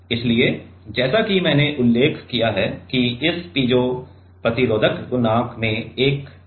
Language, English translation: Hindi, So, as I mention that this piezo resistive coefficient is have a directional property